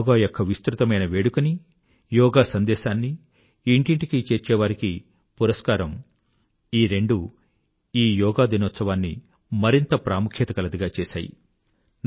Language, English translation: Telugu, The widespread celebration of Yoga and honouring those missionaries taking Yoga to the doorsteps of the common folk made this Yoga day special